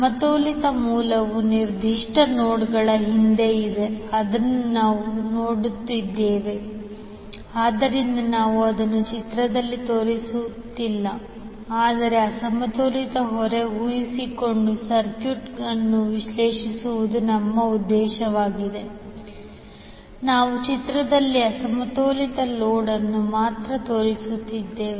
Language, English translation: Kannada, So balanced source is behind the particular nodes, which we are seeing so we are not showing that in the figure but since our objective is to analyze the circuit by assuming unbalanced load